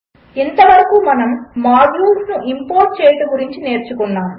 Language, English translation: Telugu, Until now we have been learning about importing modules, now what is a module